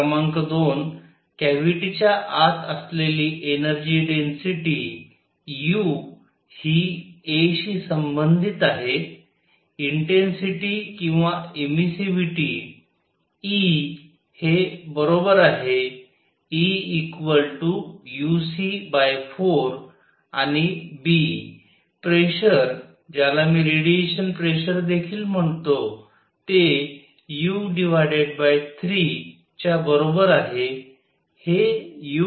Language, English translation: Marathi, Number 2; the energy density u inside the cavity is related to a; intensity or emissivity; E as equal to as E equal u c by 4 and b; pressure which I will also call a radiation pressure is equal to u by 3